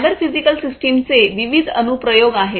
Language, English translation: Marathi, There are different applications of cyber physical systems